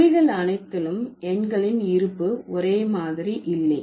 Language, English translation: Tamil, So, not all languages have an extensive set of numerals